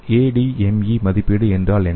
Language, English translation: Tamil, So what is ADME evaluation